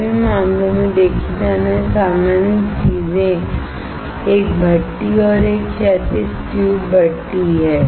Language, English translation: Hindi, In all the cases, the common things seen are a furnace and a horizontal tube furnace